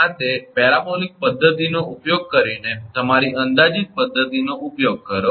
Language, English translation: Gujarati, This is the using your approximate method using that parabolic method